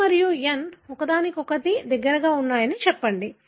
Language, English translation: Telugu, So, let me say that A and N are close to each other